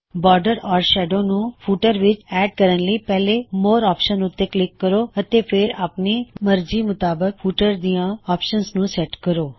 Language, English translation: Punjabi, To add a border or a shadow to the footer, click on the More option first and then set the value of the options you want to put into the footer